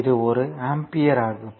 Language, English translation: Tamil, So, this is one ampere